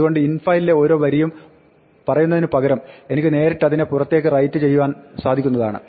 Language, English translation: Malayalam, So, instead of saying for each line in infiles I can just write it directly out